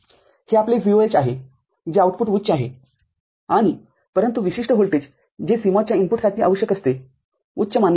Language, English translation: Marathi, This is your VOH that is the output high and, but the input voltage that is required by CMOS for the input to be considered high is 3